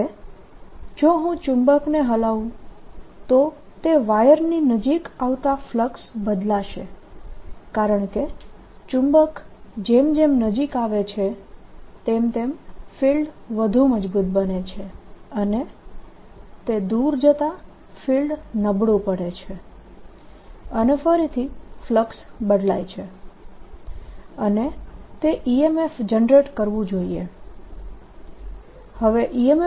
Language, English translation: Gujarati, now, if i shake the magnet as it comes near the wire, the flux is going to change because as the magnet comes nearer, the field becomes stronger and as it goes away, field becomes weaker again